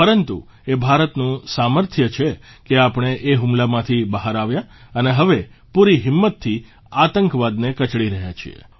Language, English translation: Gujarati, But it is India's fortitude that made us surmount the ordeal; we are now quelling terror with full ardor